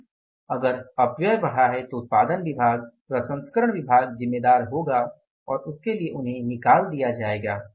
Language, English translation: Hindi, But if the wastages have gone up, then the production department will be, the processing departments will be responsible and they will be fired for that, action will be taken against them